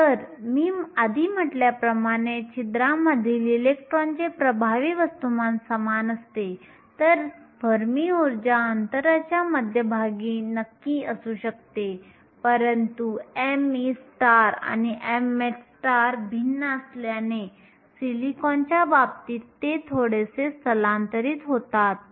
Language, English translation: Marathi, If as I said earlier, the effective mass of the electrons in the holes were the same, the fermi energy will be located exactly at the middle of the gap, but because m e star and m h star are different it is slightly shifted in the case of silicon